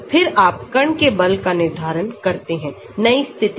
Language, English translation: Hindi, Then you determine the force of the particle in the new position